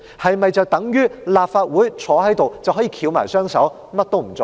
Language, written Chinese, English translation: Cantonese, 是否等於立法會可以翹起雙手，甚麼也不做呢？, Does that mean Legislative Council Members should just sit there with folded arms and do nothing?